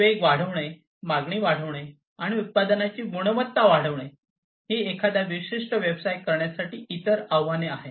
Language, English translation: Marathi, Increase in speed, increase in demand, and quality of product are the other challenges to drive a particular business